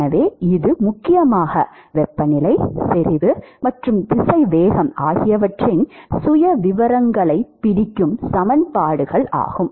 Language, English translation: Tamil, So, that will essentially, these are the equations which will capture the profiles of temperature, concentration and velocity ok